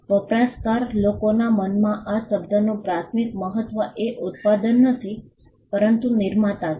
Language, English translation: Gujarati, Primary significance of the term in the minds of the consuming public is not the product, but the producer